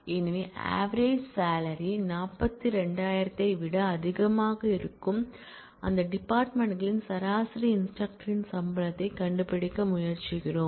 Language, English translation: Tamil, So, we are trying to find out average instructor salaries of those departments where the average salary is greater than 42,000